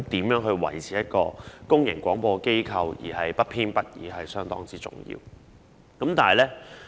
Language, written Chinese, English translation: Cantonese, 如何維持一個公營廣播機構的不偏不倚方針是相當重要的。, It is very important to maintain the impartiality of a public broadcaster